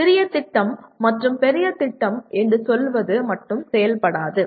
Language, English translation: Tamil, Just saying mini project and major project does not work out